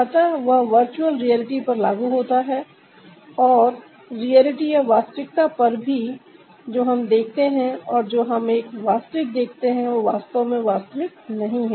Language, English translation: Hindi, so that is applicable for the virtual reality and also in reality, what we see and what we see as a real ah, are not actually real